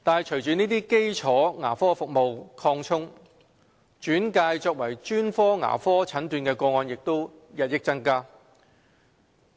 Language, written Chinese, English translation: Cantonese, 隨着基礎牙科服務得以擴充，轉介作專科牙科診斷的個案也日益增加。, Following the expansion of the primary dental services there has been a growing number of referrals for specialized dental diagnosis